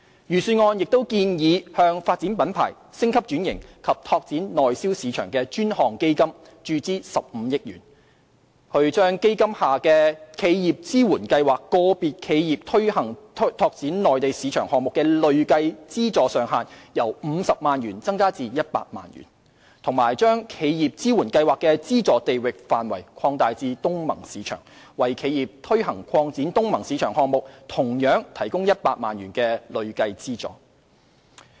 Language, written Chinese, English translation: Cantonese, 預算案亦建議向"發展品牌、升級轉型及拓展內銷市場的專項基金"注資15億元，以把基金下的"企業支援計劃"個別企業推行拓展內地市場項目的累計資助上限由50萬元增加至100萬元，以及將"企業支援計劃"的資助地域範圍擴大至東盟市場，為企業推行擴展東盟市場項目同樣提供100萬元累計資助。, It is also proposed in the Budget that 1.5 billion will be injected into the Dedicated Fund on Branding Upgrading and Domestic Sales BUD Fund to increase the cumulative funding ceiling per enterprise from 500,000 to 1,000,000 for enterprises undertaking projects in the Mainland under the Enterprise Support Programme of the BUD Fund . Moreover the geographical scope of the Enterprise Support Programme is proposed to be expanded to cover ASEAN markets with a cumulative funding of 1,000,000 for enterprises undertaking projects in ASEAN markets